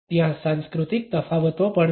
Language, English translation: Gujarati, There are cultural differences also